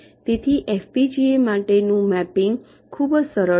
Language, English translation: Gujarati, so the mapping for fbgas is much simpler